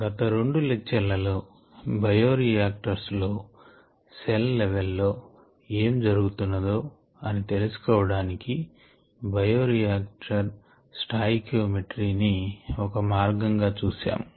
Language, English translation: Telugu, in the previous two lectures we had looked at bioreactions documentary as one of the means of getting some insights into what is happening at the cell level in the bioreactors